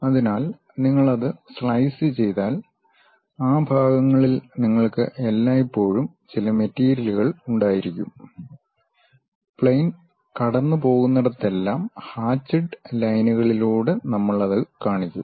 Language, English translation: Malayalam, So, when you are slicing it, you always be having some material within those portions; wherever the plane is passing through that we will show it by hatched lines